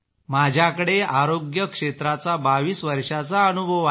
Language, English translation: Marathi, My experience in health sector is of 22 years